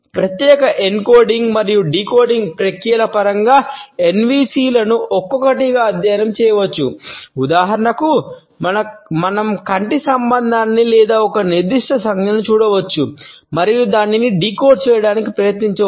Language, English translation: Telugu, Though NVCs can be studied individually in terms of separate encoding and decoding processes; for example, we can look at eye contact or a particular gesture and can try to decode it